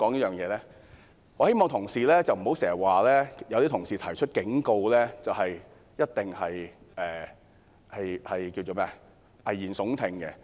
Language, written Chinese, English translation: Cantonese, 我希望同事不要經常說，反對派提出警告就一定是危言聳聽。, I have done so in the hope that Members will not repeatedly say that all warnings given by the opposition camp are alarmist talk